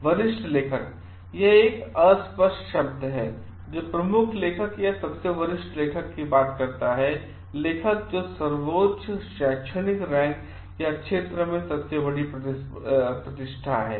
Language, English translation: Hindi, Senior author; it is an ambiguous term which talks of did sometimes talks of the lead author or the senior most author; who is in the highest academic rank or of the greatest reputation in the field